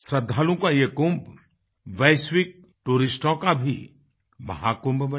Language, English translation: Hindi, May this Kumbh of the devotees also become Mahakumbh of global tourists